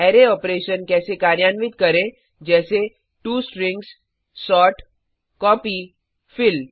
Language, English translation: Hindi, Perform array operations like to strings,sort, copy, fill